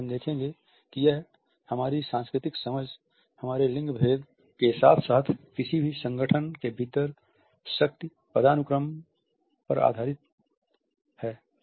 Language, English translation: Hindi, As we shall see it is also based with our cultural understanding, our gender differences as well as the power hierarchies within any organization